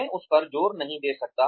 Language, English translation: Hindi, I cannot emphasize on that enough